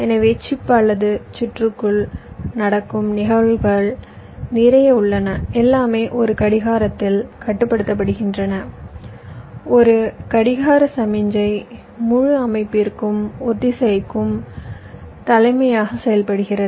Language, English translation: Tamil, so there are lot of events which are going on inside the chip or the circuitry and everything is controlled by a clock, a clock signal which acts as some kind of a synchronizing master for the entire system